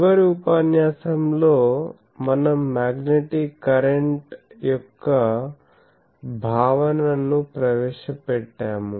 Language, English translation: Telugu, So, today since in the last lecture we have introduced the concept of magnetic current